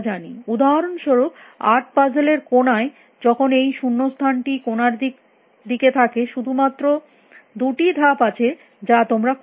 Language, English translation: Bengali, For example, in the eight puzzles corner when the blank in the corner there are only two moves that you can do